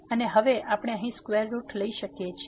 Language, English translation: Gujarati, And now, we can take the square root here